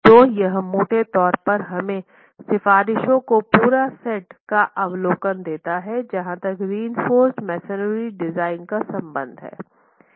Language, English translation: Hindi, So, this broadly gives us the overview of the entire set of recommendations as far as reinforced masonry design is concerned